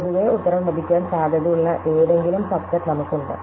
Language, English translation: Malayalam, In general, we have any possible subset could be our answer